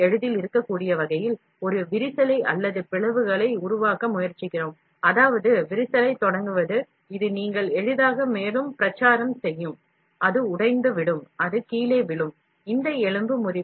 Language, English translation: Tamil, We are trying to make a crack, or a cleavage so, that the cleavage can be easily, is that initiating crack, this will easily you propagate further, it will break down and it will fall down